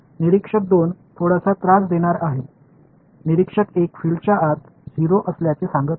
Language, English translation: Marathi, Observer 1 is going to play little bit of a mischief, observer 1 is going to say fields are 0 inside